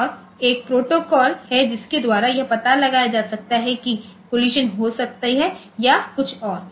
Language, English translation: Hindi, And there is a protocol by which it will detect that there may there is a collision or something like that